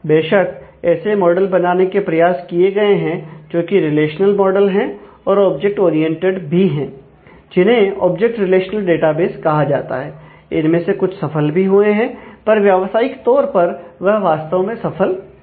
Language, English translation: Hindi, Of course, they have been attempts to create a models, which are relational models which are also object oriented those are called object relational databases, some of them have been successful, but not really commercially successful